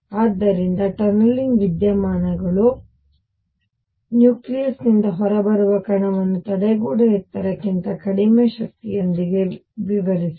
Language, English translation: Kannada, So, tunneling phenomena explained the alpha particle coming out from a nucleus with energy much less than the barrier height